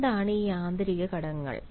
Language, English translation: Malayalam, and what are these internal factors